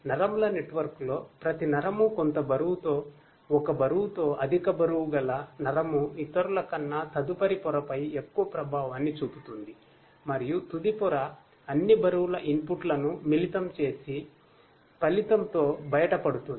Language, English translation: Telugu, In neural network, each neuron is assigned with some weighted value, a weighted, a high weighted neuron exerts more effect on the next layer than the others and the final layer combines all the weight inputs to emerge with a result